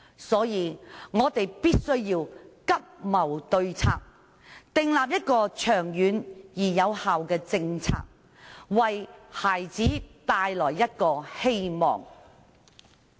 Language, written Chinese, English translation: Cantonese, 所以，我們必須急謀對策，訂立長遠而有效的政策，為孩子帶來一個希望。, Hence we must expeditiously look for solutions to the problems and formulate a long - term and effective policy to give children hope